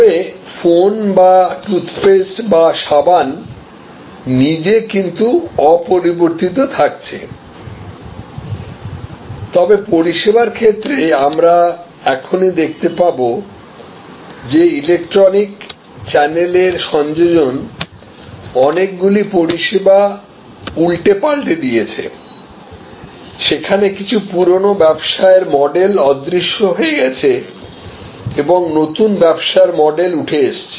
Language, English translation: Bengali, But, the phone itself or the toothpaste itself or the soap itself remains unaltered, but in case of service we will just now see that is addition of electronic channel has transformed many services has created disruption, where some old business models have disappeared and new business models have emerged